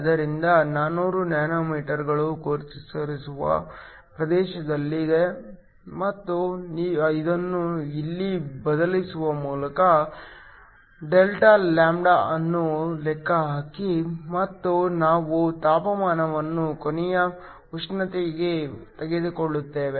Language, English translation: Kannada, So, 400 nanometers is in the visible region and calculate a Δλ which is just by substituting this here and we take temperature to be room temperature